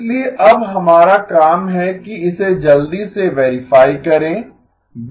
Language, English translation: Hindi, So our task now is to quickly verify this